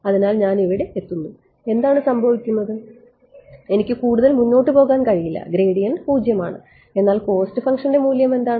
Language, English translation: Malayalam, So, I reach here and what happens I cannot proceed any further the gradient is 0, but what is the value of the cost function